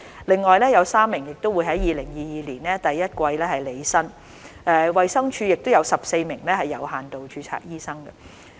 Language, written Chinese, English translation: Cantonese, 另外有3名會在2022年第一季前履新，衞生署亦有14名有限度註冊醫生。, In addition three will assume duty by the first quarter of 2022 . There are also 14 doctors under limited registration working in the Department of Health